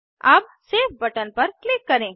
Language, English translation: Hindi, Now click on Save button